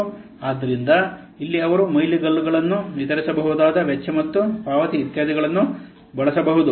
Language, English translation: Kannada, So here he may use milestones, deliverables, cost and payments, etc